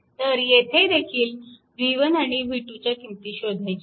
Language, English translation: Marathi, So, here also v 1 and v 2 you have to find out right answers are given